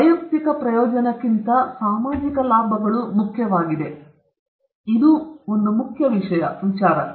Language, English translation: Kannada, Social benefits are important than individual benefit; this is one very important thing we have to keep in mind